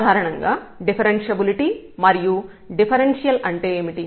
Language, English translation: Telugu, Now, what is differentiability and differential usually